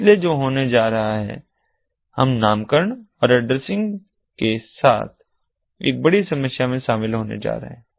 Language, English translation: Hindi, so what is going to happen is we are going to run into a bigger problem with naming and addressing